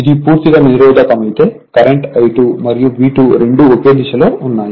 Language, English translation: Telugu, If it is purely resistive, then your current I 2 and V 2 both are in phase right